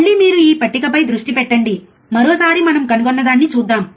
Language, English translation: Telugu, Again, you concentrate on this table, once again, let us see um, what we have found